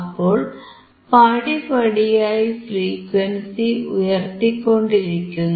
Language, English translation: Malayalam, We still keep on decreasing the frequency